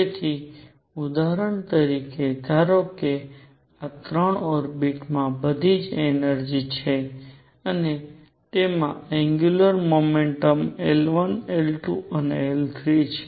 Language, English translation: Gujarati, So, for example, suppose these 3 orbits have all the same energies and have angular momentum L 1 L 2 and L 3